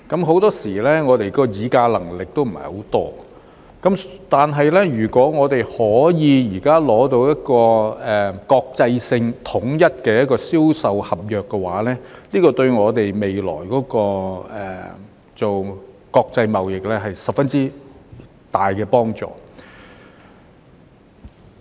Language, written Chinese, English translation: Cantonese, 很多時候，我們的議價能力也不是很高，但如果我們現時可以取得一個國際性及統一的銷售公約，對我們未來進行國際貿易有十分大的幫助。, Very often we did not have much bargaining power but if we can secure an international and unified sales convention now it will be very helpful for our future international trade